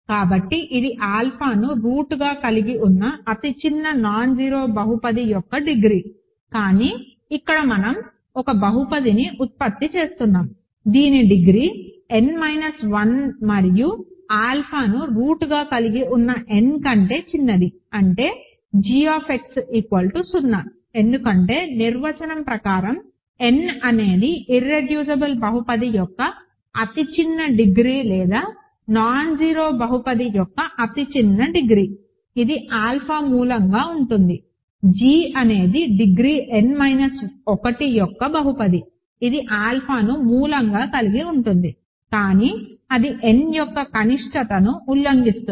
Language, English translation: Telugu, So, it is a degree of the smallest nonzero polynomial that has alpha as a root, but here we are producing a polynomial which is degree n minus 1 and smaller than n yet which has alpha as a root that means, g of x is 0 because there is by definition n is the smallest degree of an irreducible polynomial or smallest degree of a nonzero polynomial that as alpha as a root; g is apparently a polynomial of degree n minus 1 which has alpha as a root, but that violates the minimality of n